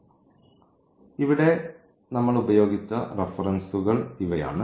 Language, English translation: Malayalam, So, these are the references we have used here and